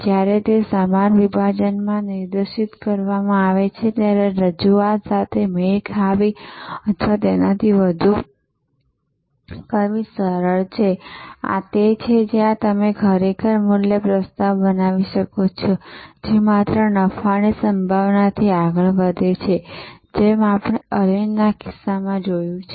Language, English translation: Gujarati, It is easier to match or exceed offerings when it is directed to the same segment, this is where you can actually create a value proposition, which goes for beyond the mere profit potential as we saw in case of Arvind